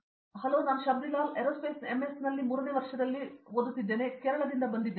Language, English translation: Kannada, Hello I am Shabrilal, I am doing third year MS in Aerospace, I am from Kerala